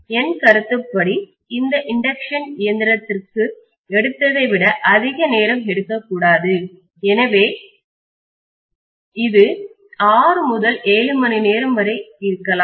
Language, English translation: Tamil, In my opinion this should not take as long as what it has taken for induction machine, so it may be anywhere between 6 to 7 hours